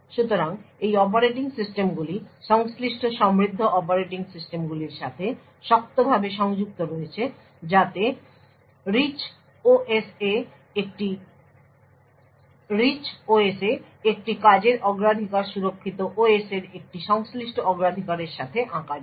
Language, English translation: Bengali, So, these operating systems are tightly coupled to the corresponding rich operating systems so that a priority of a task in the Rich OS can get mapped to a corresponding priority in the secure OS